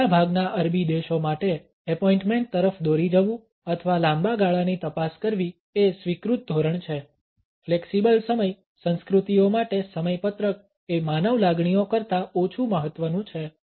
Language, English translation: Gujarati, Being led to an appointment or checking a long term to get down to business is the accepted norm for most Arabic countries; for flexible time cultures schedules are less important than human feelings